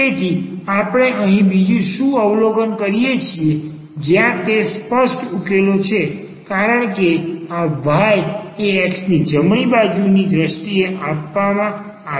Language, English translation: Gujarati, And therefore, but what else we observe here where that is the explicit solution because this y is given in terms of the x right hand side